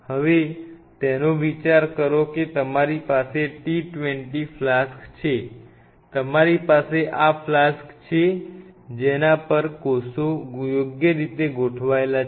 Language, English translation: Gujarati, Now think of it suppose you have a t 20 flask you have these flasks on which cells are being cultured right